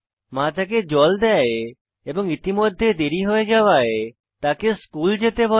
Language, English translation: Bengali, Mother gives him water and tells him to rush for school as he is already late